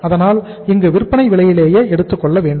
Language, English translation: Tamil, So here also it has to be taken at the selling price